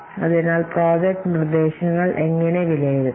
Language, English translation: Malayalam, So how to evaluate the project proposals